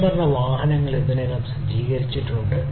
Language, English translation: Malayalam, Autonomous vehicles are already in place